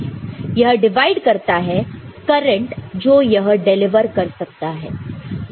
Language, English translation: Hindi, This divide the amount of current it can deliver divided by this one